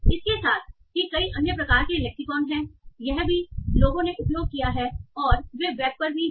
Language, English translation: Hindi, With that there are many other sort of lexicans also that people have used and they are also around on the web